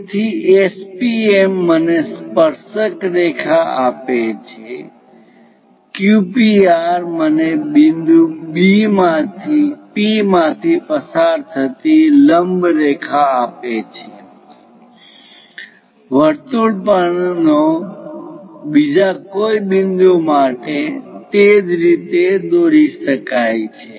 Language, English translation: Gujarati, So, S, P, M gives me tangent; Q, P, R gives me normal passing through point P, any other point on the circle also it works in the similar way